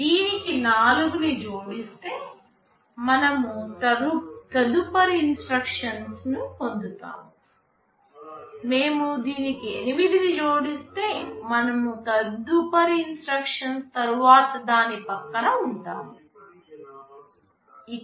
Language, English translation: Telugu, If we add 4 to it, we will be getting the next instruction; if we add 8 to it, we will be the next to next instruction